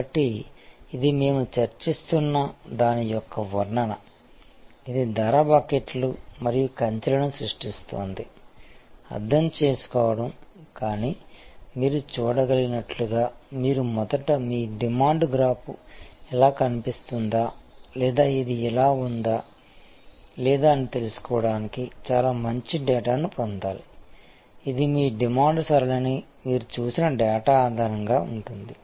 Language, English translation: Telugu, So, this is a depiction of what we have been discussing; that is creating price buckets and fences, understanding, but as you can see you have to create first get a lot of good data to know whether your demand graph looks like this or it looks like this, or it looks like this; that is based on the kind of data that you have seen of your demand pattern